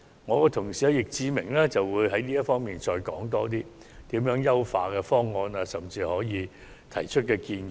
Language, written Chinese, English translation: Cantonese, 我的同事易志明議員會就此作出詳細的說明，談談有何優化方案，甚至提出建議。, My fellow colleague Mr Frankie YICK will elaborate on this issue and may present to us some possible enhancement options and even make recommendations